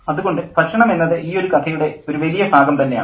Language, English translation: Malayalam, So food is a big part of this particular story